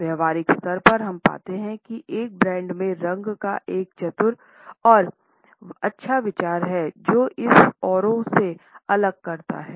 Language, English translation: Hindi, At the practical level we find that a clever and well thought out use of color in a brand makes it a standout in a crowd